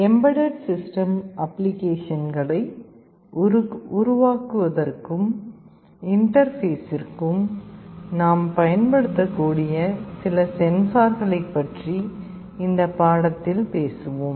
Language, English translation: Tamil, We shall be talking about some of the sensors that we can use for interfacing and for building some embedded system applications in this lecture